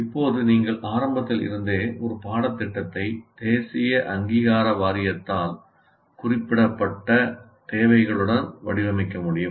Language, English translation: Tamil, So you now you are able to design a course right from the beginning with the requirements specified by National Board of Accreditation